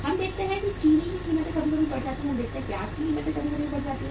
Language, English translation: Hindi, We see the prices of the sugar sometime go up sometime we see the price of the onions go up